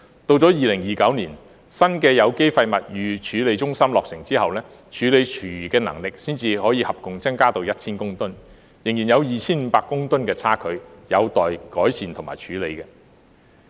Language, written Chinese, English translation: Cantonese, 直到2029年，新的有機廢物預處理中心落成後，處理廚餘的能力才可合共增至 1,000 公噸，仍然有 2,500 公噸的差距，有待改善和處理。, Then in 2029 when the new organic waste pre - treatment centre is commissioned the total capacity of food waste treatment will only be increased to 1 000 tonnes leaving a gap of 2 500 tonnes to be made up for and handled